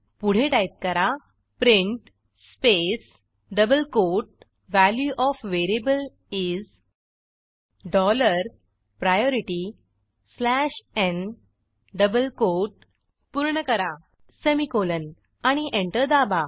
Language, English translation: Marathi, Next, type print space double quote Value of variable is: dollar priority slash n close double quote semicolon and press enter slash n is the new line character